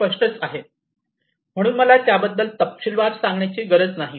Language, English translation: Marathi, Obviously, so I do not need to elaborate on this